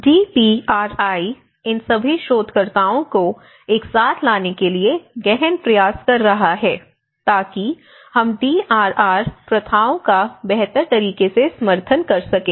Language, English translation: Hindi, Now, the DPRI is taking an intense effort to bring all these researchers together so that how we can advocate the DRR practices in a much better way